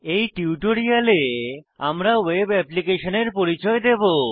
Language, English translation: Bengali, In this tutorial we introduce you to a web application